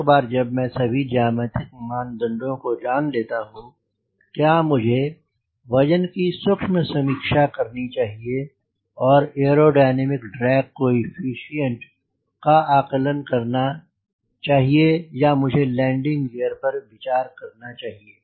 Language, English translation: Hindi, that is, once i know all this geometric parameter, should i go for refinement of the weight and the weight is to and the aerodynamic drag coefficient estimation, or i should go for landing